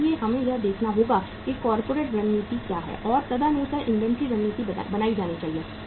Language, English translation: Hindi, So we have to see what is the corporate strategy and accordingly the inventory strategy has to be built up